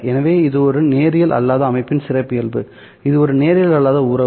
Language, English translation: Tamil, So, this is the characteristic of a nonlinear system